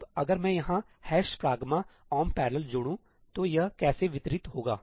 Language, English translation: Hindi, Now, if I simply add a ëhash pragma omp parallelí here, how is it going to distribute